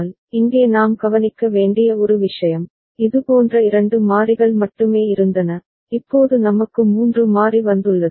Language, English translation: Tamil, But, one thing that we note here that there only 2 such variable were there, now we have got 3 variable coming into place ok